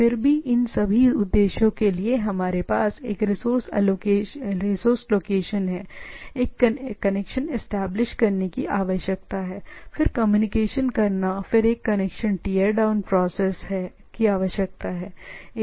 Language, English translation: Hindi, Nevertheless for all these purposes what we have there is a resources location, a connection establishment is required, then the communication and then a connection teardown process required